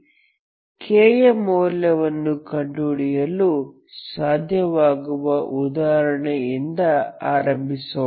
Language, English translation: Kannada, I will start with an example in which case you will able to find k values